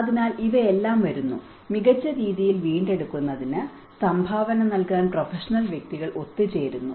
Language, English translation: Malayalam, So, all these come, professional individuals come together to contribute for building back better